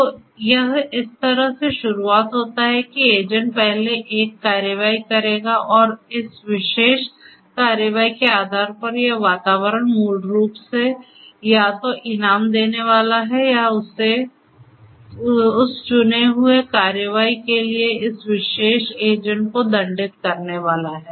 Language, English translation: Hindi, So, it starts like this that the agent will first take an action, and based on this particular action this environment basically is either going to reward or is going to penalize this particular agent for that chosen action